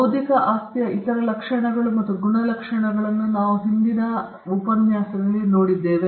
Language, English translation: Kannada, And we also saw the other characteristics or traits of intellectual property right